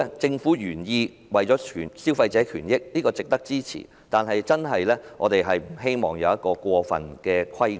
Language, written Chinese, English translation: Cantonese, 政府的原意是為了保障消費者的權益，這是值得支持的，但我們不希望出現過分的規管。, While the Governments original intent to protect consumers rights is worth supporting we do not want excessive regulation